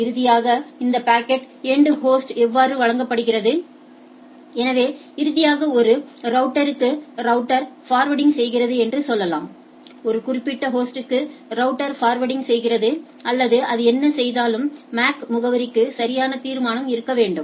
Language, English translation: Tamil, And finally, how this packet is delivered at the end host; so, at the end finally, we will see in subsequently that whenever say router forwarding to a router, router forwarding to a particular host, or whatever it does there should be a resolution to the MAC address right